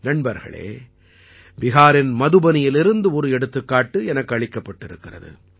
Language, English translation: Tamil, before me is an example that has come from Madhubani in Bihar